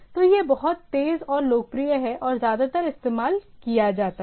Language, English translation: Hindi, So it is much faster and popular and mostly used